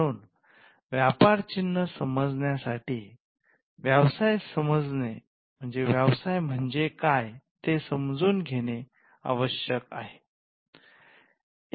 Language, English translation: Marathi, So, to understand trademarks, we need to understand what businesses are